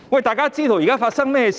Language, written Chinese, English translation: Cantonese, 大家皆知道現在發生甚麼事情。, Everyone knows what is happening now